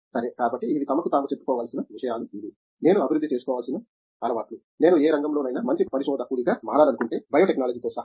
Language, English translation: Telugu, Okay So, these are things that they should tell themselves that you know these are the kinds of habits I should develop if I want to become a good researcher in I any field, but including biotechnology